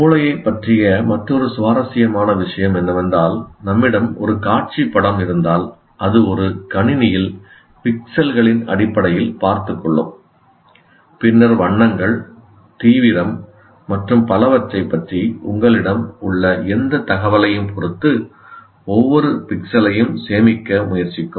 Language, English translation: Tamil, The other interesting thing about the brain is it is like if you have a visual image possibly in a computer will take care of, look at it in terms of pixels and then try to save each pixel with the with regard to the whatever information that you have about the colors in intensity and so on